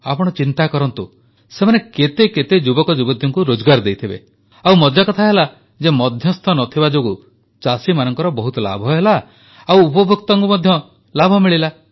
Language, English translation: Odia, You just think, how many youth did they employed, and the interesting fact is that, due to absence of middlemen, not only the farmer profited but the consumer also benefited